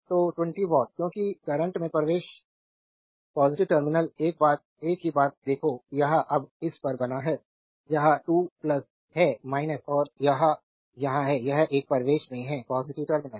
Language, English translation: Hindi, So, 20 watt right because current entering into the positive terminal same thing you look, this is at this is now we have made this is 2 plus this is minus and it is here it is in the a entering into the positive terminal